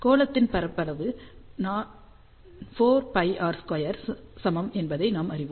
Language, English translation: Tamil, So, we know that the area of the sphere is equal to 4 pi r square